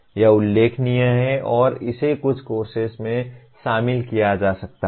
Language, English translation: Hindi, This is doable and it can be incorporated into some of the courses